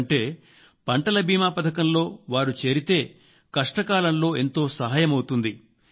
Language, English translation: Telugu, If a farmer gets linked to the crop insurance scheme, he gets a big help in the times of crisis